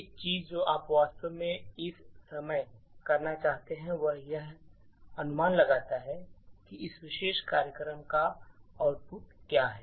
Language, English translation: Hindi, One thing you would actually like to do at this time is to guess what the output of this particular program is